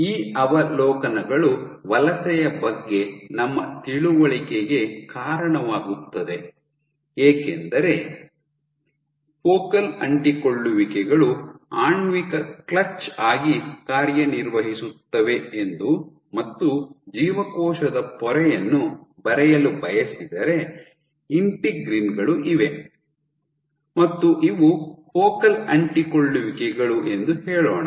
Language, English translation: Kannada, So, these observations also lead to or understanding of migration saying that focal adhesions act as molecular clutch, if I want to draw the membrane of the cell you have these integrins let us say these are my focal adhesions